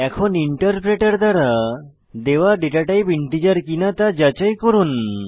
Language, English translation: Bengali, Lets check whether the datatype allotted by the interpreter is integer or not